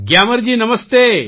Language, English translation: Gujarati, Gyamar ji, Namaste